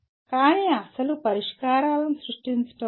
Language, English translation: Telugu, But not actually creating the original solutions